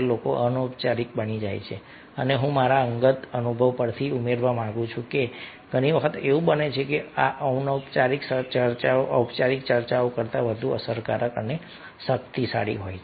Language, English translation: Gujarati, here i would like to add from my personal experience that many times it happens that this informal discussions are more effective and powerful than the formal discussions